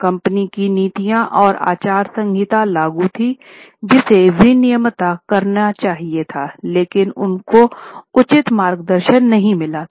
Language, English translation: Hindi, Companies policies and code of conduct were in place which was supposed to regulate both the board and management but proper guidance was not there